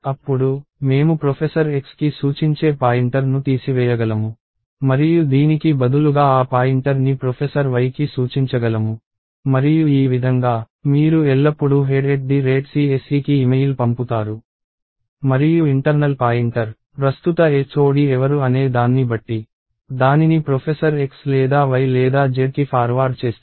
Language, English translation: Telugu, Then, I can remove the pointer pointing to professor X and I can instead make that pointer point to professor Y and this way, you always will email head at CSE and the internal pointer will forward it to Professor X or Y or Z, according to who the current HOD is